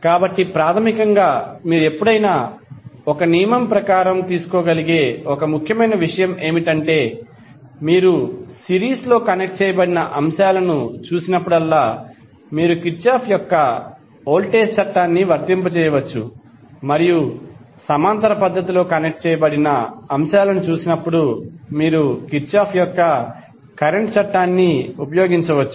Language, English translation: Telugu, So basically one important thing which you can always take it as a thumb rule is that whenever you see elements connected in series you can simply apply Kirchhoff’s voltage law and when you see the elements connected in parallel fashion, you can use Kirchhoff’s current law